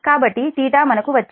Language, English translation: Telugu, so theta we have got